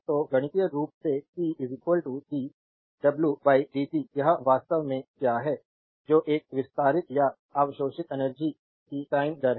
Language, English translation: Hindi, So, mathematically p is equal to dw by dt, it is actually your what you call that is a time rate of a expanding or absorbing energy